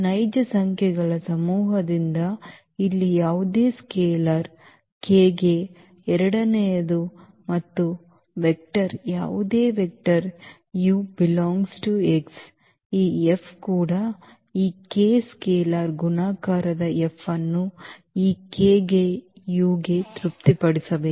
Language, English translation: Kannada, The second one for any scalar k here from the set of real numbers and a vector any vector u from this X this F should also satisfies that F of the multiplication of this k scalar multiplication of this k to u